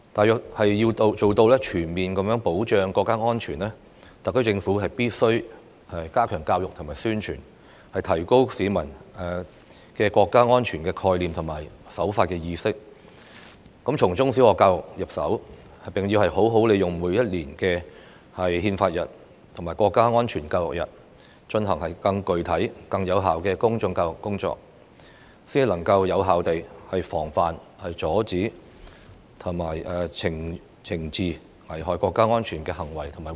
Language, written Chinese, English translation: Cantonese, 但是，要做到全面保障國家安全，特區政府必須加強教育和宣傳，提高市民的國家安全概念和守法意識，這包括從中小學教育入手，並好好利用每年的憲法日和國家安全教育日，進行更具體、更有效的公眾教育工作，藉以有效地防範、阻止和懲治危害國家安危的行為和活動。, However to safeguard national security comprehensively the HKSAR Government must strengthen education and publicity to enhance peoples understanding of national security and law - abiding awareness . Starting from primary and secondary school education the Government should make good use of the annual Constitution Day and National Security Education Day to conduct more comprehensive and effective public education so as to effectively prevent suppress and punish acts and activities that endanger national security